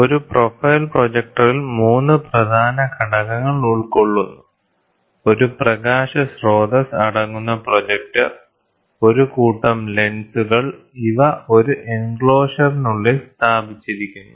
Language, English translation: Malayalam, A profile projector is made up of 3 main elements: the projector comprising a light source and a set of lenses housed inside an enclosure